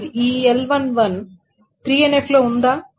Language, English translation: Telugu, Is this L11 is in 3NF